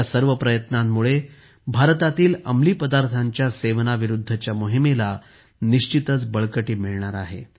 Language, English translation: Marathi, These efforts lend a lot of strength to the campaign against drugs in India